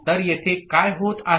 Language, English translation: Marathi, So, what is happening here